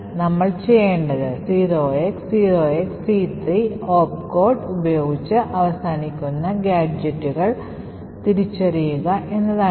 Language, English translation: Malayalam, So, what we need to do is to identify gadgets which are ending with the opt code 0xc3